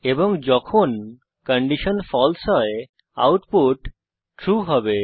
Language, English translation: Bengali, And when the condition is false the output will be true